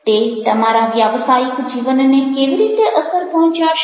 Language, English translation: Gujarati, how it is going to impact your work life